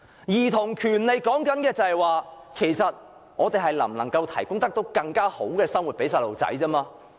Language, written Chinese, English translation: Cantonese, 兒童權利所說的，是我們能否為兒童提供更好的生活。, The term childrens rights actually refers to the question of whether we can provide children with a better life